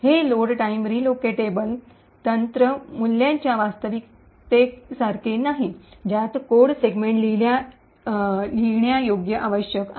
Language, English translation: Marathi, This is quite unlike the Load time relocatable technique value actually required the code segment to be writable